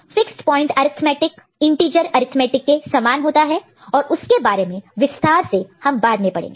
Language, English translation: Hindi, Fixed point arithmetic is similar to integer arithmetic and we shall discuss elaborately that part later